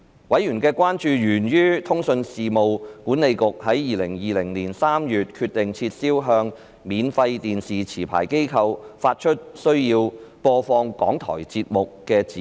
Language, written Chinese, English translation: Cantonese, 委員的關注源於通訊事務管理局在2020年3月決定撤銷向免費電視持牌機構發出須播放港台節目的指示。, Members concerns were triggered by the Communications Authoritys decision in March 2020 to revoke its directions to free television licensees on the requirements to broadcast RTHKs programmes